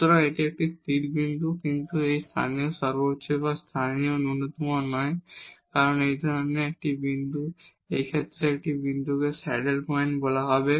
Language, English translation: Bengali, So, this is a stationary point, but this is not a local maximum or local minimum and such a point, such a point will be called as the saddle point